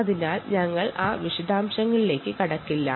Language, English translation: Malayalam, so we will ah not get into that detail